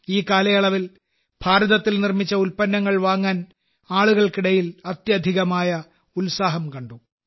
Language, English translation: Malayalam, And during this period, tremendous enthusiasm was seen among the people in buying products Made in India